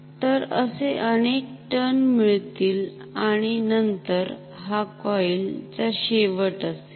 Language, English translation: Marathi, So, I can have many turns like this and then this is the end of the coil ok